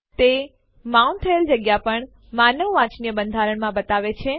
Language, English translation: Gujarati, It also shows the space mounted on in a human readable format